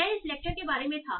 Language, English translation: Hindi, So now, so this was about this lecture